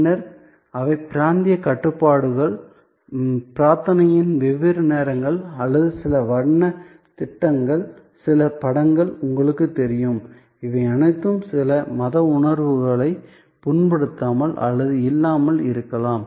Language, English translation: Tamil, Then, they are regions restrictions, different times of prayer or you know the certain colors schemes, certain images, which may or may not may of offend some religious sentiments all these have to be thought off